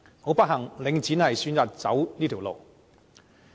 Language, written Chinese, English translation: Cantonese, 很不幸，領展選擇走上這條路。, Regrettably Link REIT has chosen this path